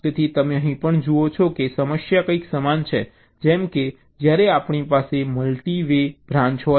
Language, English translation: Gujarati, so you see, here also the problem is some what similar, like when we have a multi way branch